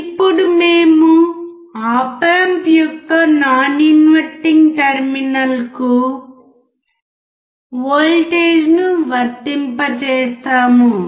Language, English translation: Telugu, Now we will apply voltage to the non inverting terminal of the op amp